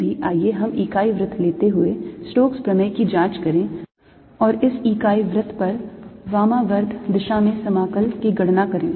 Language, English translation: Hindi, none the less, let us check stokes theorem by taking a unit circle and calculate the integral over this unit circle, going counter clockwise